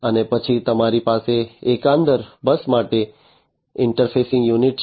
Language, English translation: Gujarati, And then you have the interfacing unit to the overall bus